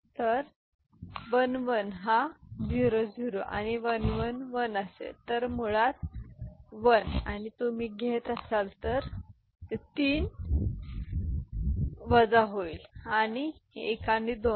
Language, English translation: Marathi, So, 1 1 this is the 0 0 and 1 1 1 then basically 1 and you are taking a borrow so which is becoming 3, 3 minus this is 1 and 1 2